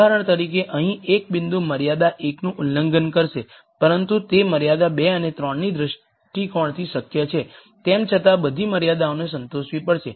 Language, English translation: Gujarati, For example, a point here would violate constraint 1, but it would be feasible from constraint 2 and 3 viewpoint nonetheless all the constraints have to be satisfied